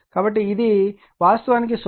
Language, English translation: Telugu, So, this is actually 0